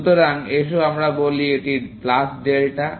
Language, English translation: Bengali, So, let us say this is plus delta